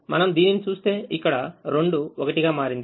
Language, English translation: Telugu, if we take this element, the two has become three here